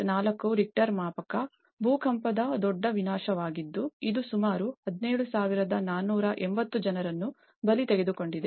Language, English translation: Kannada, 4 Richter scale earthquake which has killed almost 17,480 people